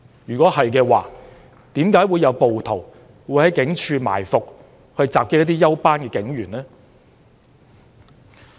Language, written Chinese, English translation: Cantonese, 如果做得到的話，為何會有暴徒在警署附近埋伏，襲擊一些休班警員呢？, If these can be done why do rioters ambush and attack some off - duty police officers near police stations?